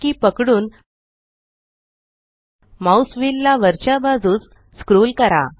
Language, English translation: Marathi, Hold SHIFT and scroll the mouse wheel upwards